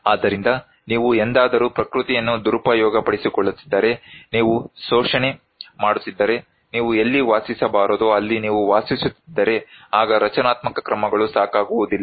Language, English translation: Kannada, So, if you are ever exploiting the nature, if you are exploit, if you are living where you should not live, then structural measures is not enough